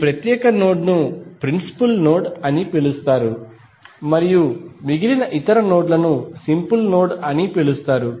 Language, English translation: Telugu, This particular node would be called as principal node and rest of the other nodes would be called as a simple node